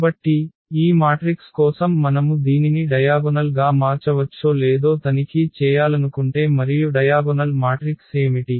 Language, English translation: Telugu, So, for this matrix also if you want to check whether it can be diagonalized or not and what will be the diagonal matrix